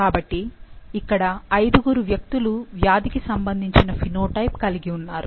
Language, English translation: Telugu, So, there are five individuals which have the phenotype for the disease